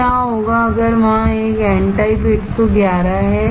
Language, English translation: Hindi, So, what if there is a n type 111